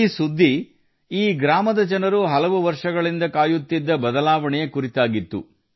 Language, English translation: Kannada, This news was about a change that the people of this village had been waiting for, for many years